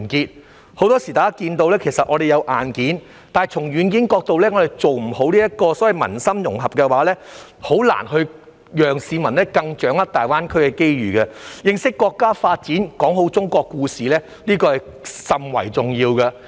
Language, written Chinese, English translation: Cantonese, 大家很多時看到，香港其實有硬件，但從軟件的角度來看，做不好所謂民心融合，便很難讓市民掌握大灣區的機遇，故此認識國家發展，講好中國故事甚為重要。, We can often see that Hong Kong indeed has the hardware but as for the software if we fail to cohere peoples hearts it will be very difficult for them to grasp the opportunities in GBA